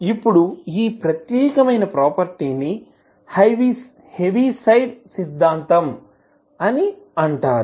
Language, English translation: Telugu, Now, this particular property is called the ‘Heaviside Theorem’